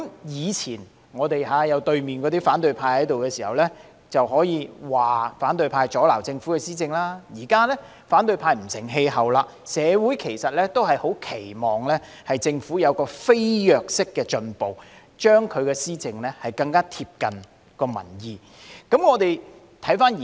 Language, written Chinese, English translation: Cantonese, 以前有反對派坐在對面時，我們可以說反對派阻撓政府施政，但現在反對派已不成氣候，社會十分期望政府有飛躍式的進步，令施政更貼近民意。, In the past when opposition Members sat opposite us we might blame the opposition camp for hindering the Governments administration . But now that the opposition camp no longer has any influence society keenly hopes that the Government can make drastic improvements so that its policy implementation can better align with public opinion